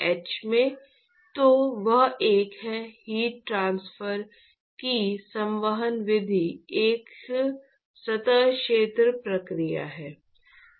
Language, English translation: Hindi, h into So, that is a; the convective mode of heat transport is actually a surface area process